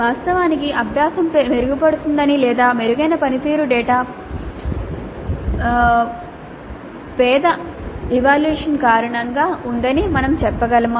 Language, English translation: Telugu, Can we say that actually the learning has improved or is the improved performance data because of poorer assessments